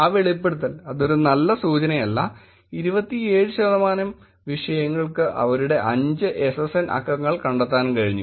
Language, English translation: Malayalam, That revealing, that is not a very good sign, were 27 percent of the subjects were able to find out five SSN digits of them